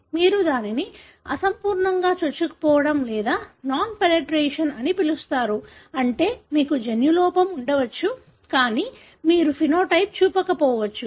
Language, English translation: Telugu, You call it as incomplete penetrance or non penetrance, meaning you may have the genotype, but you may not show the phenotype